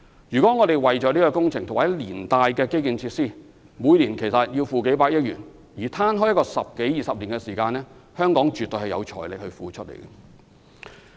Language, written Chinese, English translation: Cantonese, 如果我們將這項工程和連帶的基建設施的費用攤分十多二十年，每年則只需支付數百億元，香港絕對有財力應付。, If we spread the project costs and the ancillary infrastructure costs over a period of 10 to 20 years the cost per year is only several ten billion dollars . Hong Kong can definitely afford this spending